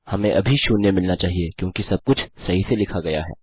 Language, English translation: Hindi, We should get zero at the moment because everything is written correctly